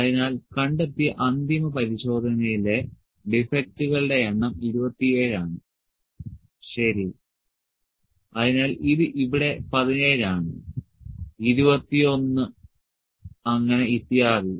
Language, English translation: Malayalam, So, number of defects in the final inspection those are found is 27, ok, so it is 17 here, 21 so on